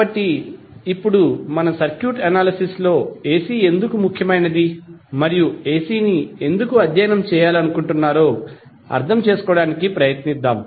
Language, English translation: Telugu, So, now let's try to understand why the AC is important in our circuit analysis and why we want to study